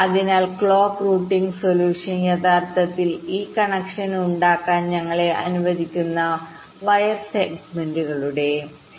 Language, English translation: Malayalam, ok, so the clock routing solution is actually the set of wire segments that will allow us to make this connection